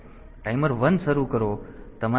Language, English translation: Gujarati, So, start timer 1